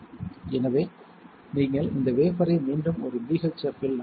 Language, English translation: Tamil, So, you have to dip this wafer in again a BHF